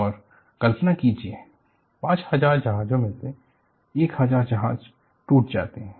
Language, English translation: Hindi, And imagine, out of the 5000 ships, 1000 ships break